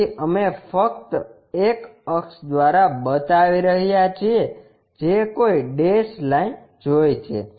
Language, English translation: Gujarati, So, we are showing just by a axis seen a dashed line